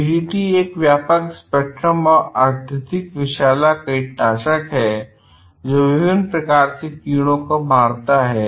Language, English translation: Hindi, DDT is a broad spectrum and highly toxic insecticide that kills a variety of insects